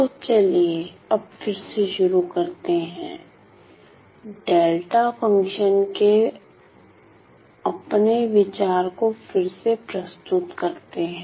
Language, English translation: Hindi, So, then let us now introduce again reintroduce my idea of delta function